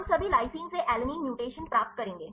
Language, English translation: Hindi, We will get all the lysine to alanine mutations right